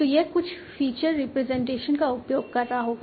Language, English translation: Hindi, So this will be using some feature representation